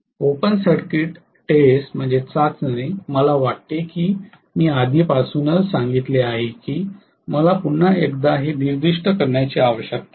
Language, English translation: Marathi, Open circuit test I think I have already told I do not need to specify it once again